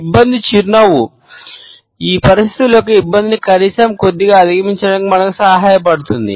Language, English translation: Telugu, So, this embarrass the smile helps us to overcome the awkwardness of these situations in a little manner at least